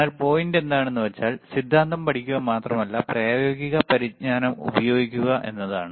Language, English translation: Malayalam, But the point is not only to learn theory, but to use the practical knowledge